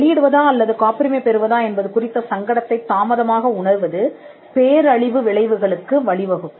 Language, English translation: Tamil, Late realization of this dilemma whether to publish or to patent could lead to disastrous consequences